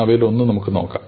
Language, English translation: Malayalam, So, let us look at one of them